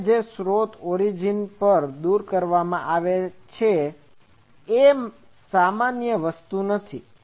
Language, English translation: Gujarati, Now, if the source is removed from the origin because this is not the general thing